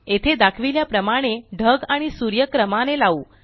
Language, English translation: Marathi, Now lets arrange the clouds and the sun as shown here